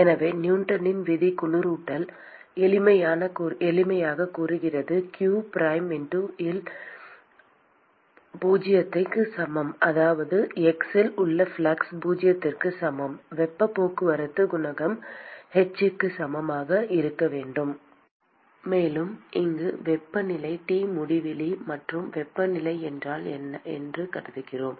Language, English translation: Tamil, And so Newton’s law cooling simply says that q prime at x equal to zero that is the flux at x equal to zero should be equal to the heat transport coefficient h and supposing I assume that the temperature here is T infinity and if the temperature inside